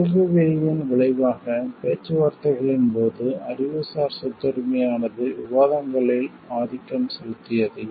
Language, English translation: Tamil, As a result in the Uruguay,Round of Negotiations the Intellectual Property Rights dominated the discussions